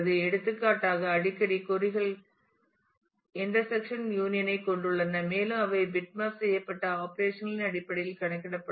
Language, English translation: Tamil, And for example, the often queries have intersection union and they can be simply computed in terms of bitmapped operations